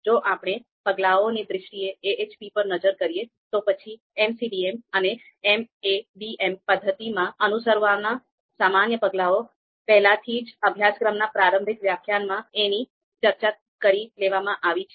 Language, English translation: Gujarati, Now if we look at AHP in terms of steps, so generic steps to follow a to actually follow in an MCDM and MADM method, we have covered into the introductory part of the course introductory lecture of the course